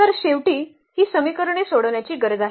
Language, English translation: Marathi, So, we need to solve finally, this system of equations